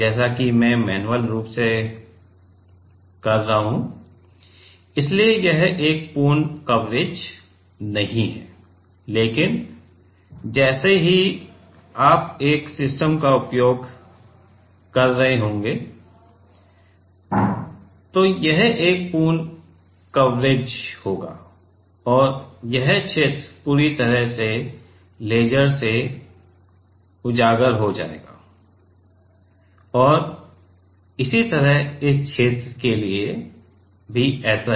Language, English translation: Hindi, As I am doing manually, so it is not a complete coverage, but let us say while you will be using a system then it will be a complete coverage and this region will be completely exposed with the laser and similarly for this region also right